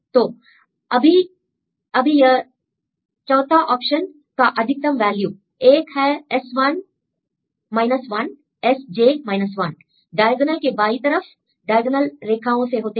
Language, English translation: Hindi, So, now the condition is the maximum of these 4 options; one is Si 1 S j 1 diagonal right go through diagonal lines